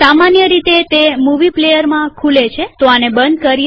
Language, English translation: Gujarati, It opens in movie player by default.Lets close this